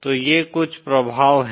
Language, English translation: Hindi, So these are some of the effects